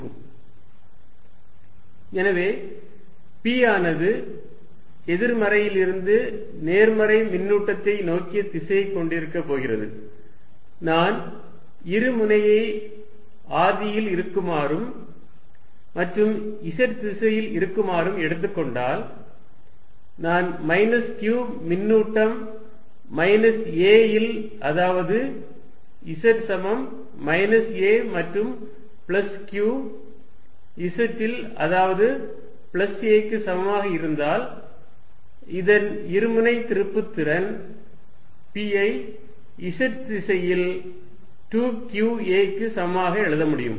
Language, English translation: Tamil, So, p is going to have a direction from negative to positive charge, if I take the dipole to be sitting at the origin and in the z direction, then I will take the charges minus q at minus a at z equals minus a and plus q to be sitting at z equals plus a and I can write the dipole moment p of this to be equal to 2qa in the z direction